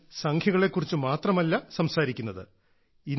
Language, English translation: Malayalam, And I'm not talking just about numbers